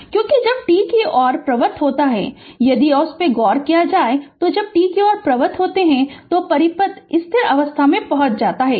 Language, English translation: Hindi, Because, when t tends to infinity, if you look into that, when t tends to infinity, the circuit reaches to steady state